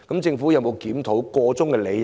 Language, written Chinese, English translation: Cantonese, 政府有沒有檢討箇中理由？, Has the Government examined the underlying reasons for that?